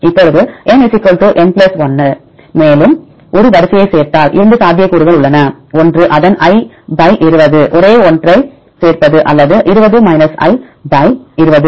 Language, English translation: Tamil, Now, if N = n + 1 they add one more sequence, then there are two possibilities one is its i / 20 adding the same one or you can take the i + 1 with the probability of (20 – i) / 20